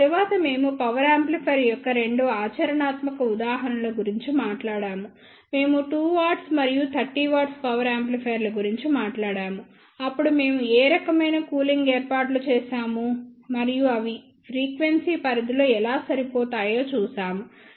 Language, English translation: Telugu, After that we talked about two practical examples of the power amplifier, we talked about the 2 watt and 30 watt power amplifiers, then we saw what type of cooling arrangements were made and how they are matched over the frequency range